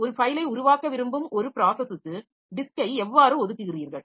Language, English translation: Tamil, So, how do you allocate disk for a to a new, to a process that wants to create a file